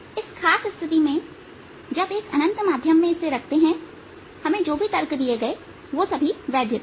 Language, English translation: Hindi, in this pay particular case, where it was put in an infinite medium, whatever arguments we were given are valid